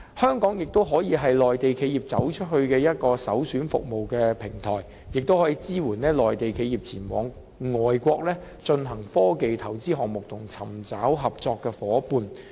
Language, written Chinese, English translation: Cantonese, 香港亦可以是內地企業"走出去"的首選服務平台，並可以支援內地企業前往外國進行科技投資項目和尋找合作夥伴。, Hong Kong can also serve as the premium service platform for Mainland enterprises to go global and provide support for Mainland enterprises in making investments in technologies and finding business partners in foreign countries